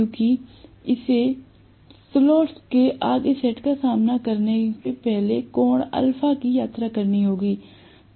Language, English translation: Hindi, Because it has to travels as angle an alpha before it faces the next set of slots